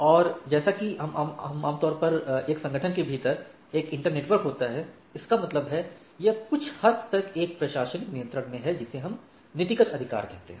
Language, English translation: Hindi, And AS normally consists of an inter network within an organizations; that means, it is somewhat under one administrative control or one administrative what we say policy right